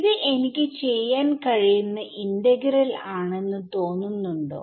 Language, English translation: Malayalam, So, does this look like an integral that I can do